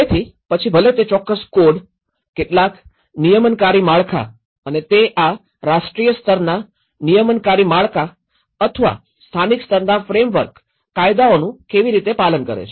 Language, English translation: Gujarati, So, whether it is by following certain codes, certain regulatory frameworks and how they are abide with this national level regulatory frameworks or a local level frameworks bylaws